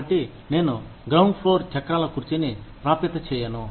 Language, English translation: Telugu, So, i will not make the ground floor, wheelchair accessible